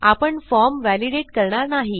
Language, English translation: Marathi, We wont start validating the form